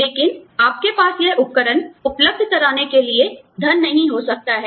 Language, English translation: Hindi, But, you may not have the money, to provide this equipment